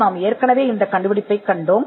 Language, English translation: Tamil, Again, we had seen this invention